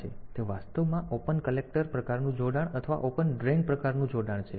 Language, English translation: Gujarati, So, they are actually open collector type of connection or open drain type of connection